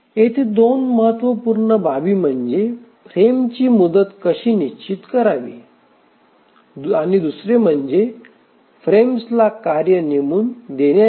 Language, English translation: Marathi, Two important aspects here, one is how to fix the frame duration, the second is about assigning tasks to the frames